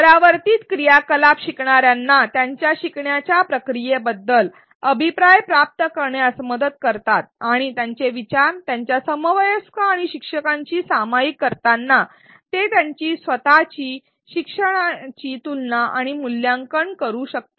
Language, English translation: Marathi, Reflection activities help learners receive feedback about their learning process and as they share their ideas with their peers and the instructor, they can compare and evaluate and revise their own learning